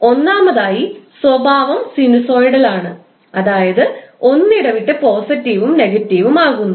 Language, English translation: Malayalam, Because the first the characteristic is sinusoidal, it is alternatively going positive and negative